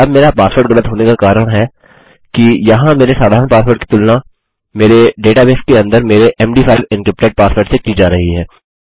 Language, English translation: Hindi, Now, the reason my password is wrong is that my plain text password here is being compared to my md5 encrypted password inside my data base